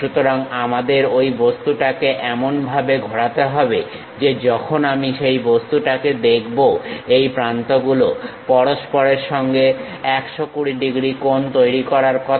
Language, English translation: Bengali, So, we have to rotate that object in such a way that; when I visualize that object, these edges supposed to make 120 degrees